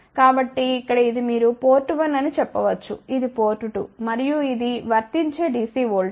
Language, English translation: Telugu, So, here this is a you can say port 1, this is port 2, and this is the DC voltage which is applied